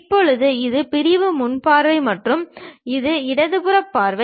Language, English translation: Tamil, Now, this is the sectional front view and this is left hand side view